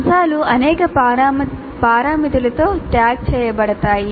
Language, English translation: Telugu, So the items are tagged with several parameters